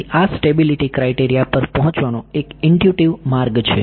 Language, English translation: Gujarati, So, this is the intuitive way of arriving at this stability criteria